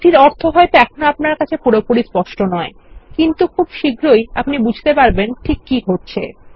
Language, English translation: Bengali, While this may not make absolute sense right now, we will soon understand whats happening